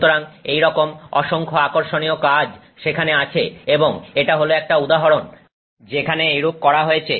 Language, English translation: Bengali, So like this lot of interesting work is there and this is an example of where this has been done